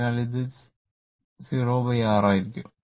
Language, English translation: Malayalam, So, it will be 0 by R